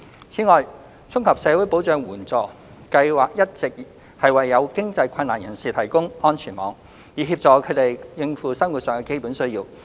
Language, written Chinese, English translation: Cantonese, 此外，綜合社會保障援助計劃一直為有經濟困難的人士提供安全網，以協助他們應付生活上的基本需要。, Furthermore the Comprehensive Social Security Assistance CSSA Scheme has been serving as the safety net for those who cannot support themselves financially to meet their basic needs